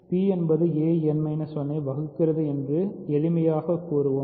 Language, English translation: Tamil, So, let us say for simplicity that p does not divide a n minus 1